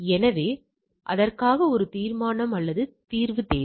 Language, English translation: Tamil, So, for that it requires a resolution or resolving the thing right